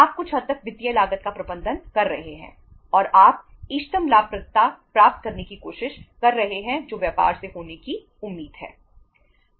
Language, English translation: Hindi, You are managing the financial cost to some extent and you are trying to have the optimum profitability which is expected to be there from the business